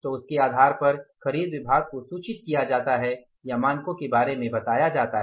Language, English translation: Hindi, So, on the basis of that the purchase department, procure department is communicated, the information or the standards